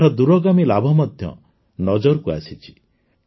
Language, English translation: Odia, Its long term benefits have also come to the fore